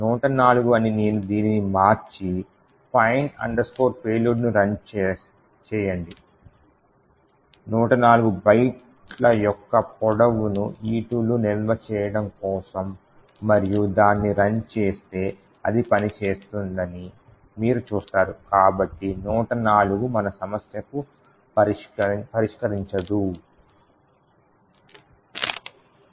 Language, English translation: Telugu, If I change this to say 104, run the fine payload, store the length of E2 of 104 byte is in E2 and run it you see that it works so 104 is not going to solve our problem